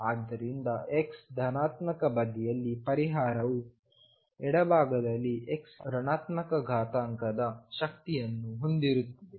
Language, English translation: Kannada, So, on the x positive side, the solution has negative power of the x exponential on the left hand side